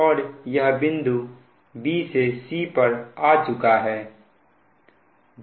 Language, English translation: Hindi, so this is b to c